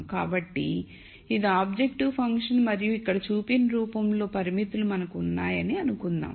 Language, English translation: Telugu, So, let us say this is the objective function and let us assume that we have constraints of the form shown here